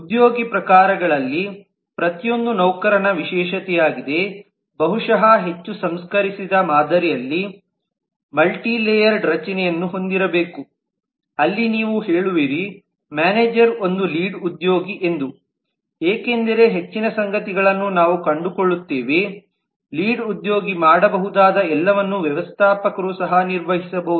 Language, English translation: Kannada, instead of just each one of the employee types being a specialization of the employee possibly a more refined model should have a multi layered structure where you say that the manager is a lead because we find that most of the things if not everything exactly that a lead can do a manager can also perform